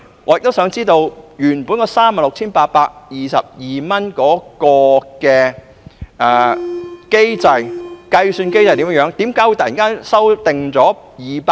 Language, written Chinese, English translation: Cantonese, 我也想知道，原訂上限 36,822 元的計算機制為何？, I would also like to know the calculation mechanism on which the original cap at 36,822 is based